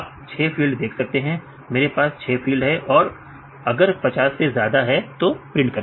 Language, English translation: Hindi, So, you can see the 6 field right, I have 6 field, more than 50, it is a more than 50 then you print if I just print